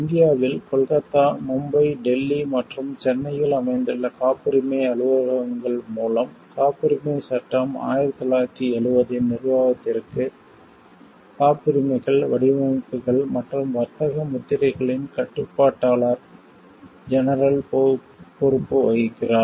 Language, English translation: Tamil, In India the Controller General of Patents Designs and Trademarks is responsible for the administration of patents act 1970, through the patent offices located at Kolkata, Mumbai, Delhi and Chennai